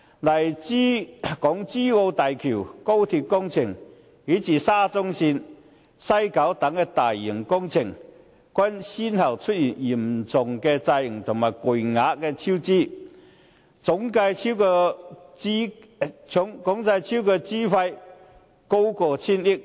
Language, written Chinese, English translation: Cantonese, 例如港珠澳大橋、高鐵工程，以至沙中線和西九文化區等大型工程，均先後出現嚴重延誤和巨額超支的情況，總計超支費用高達千億元。, For instance such major works as the Hong Kong - Zhuhai - Macao Bridge the Guangzhou - Shenzhen - Hong Kong Express Rail Link project the Shatin to Central Link and the West Kowloon Cultural District have experienced serious delays and huge cost overruns one another with the total amount of overrun reaching a hundred billion dollars